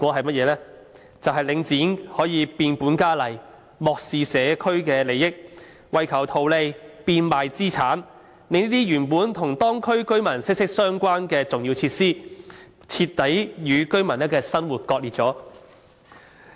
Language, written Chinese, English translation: Cantonese, 便是領展可以變本加厲，漠視社區的利益，為求圖利變賣資產，令這些本來與當區居民生活息息相關的重要設施，徹底與居民的生活割裂。, It is that Link REIT can intensify its advances to the neglect of the interests of society and sell assets for profits thereby completely separating local residents from important facilities closely connected to their lives